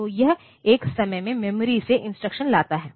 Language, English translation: Hindi, So, it brings the instruction from memory one at a time